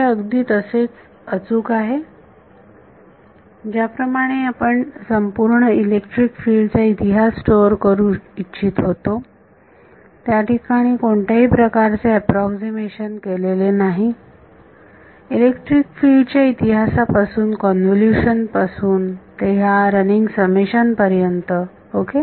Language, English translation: Marathi, So, this is as accurate as if you wanted to store all the electric field histories, there is no approximation made in going from electric field history from convolution to this running summation ok